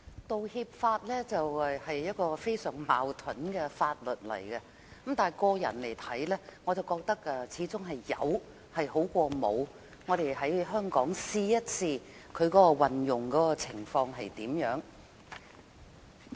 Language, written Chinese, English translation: Cantonese, 《道歉條例草案》是一項非常矛盾的法例，但以我個人來看，我始終覺得有比沒有的好，我們要看看在香港落實的情況如何。, The Apology Bill the Bill is a deeply contradictory piece of legislation but I think it is still better to have the legislation in place than nothing . We should rather keep an eye on how it is implemented in Hong Kong . Generally speaking should we make an apology?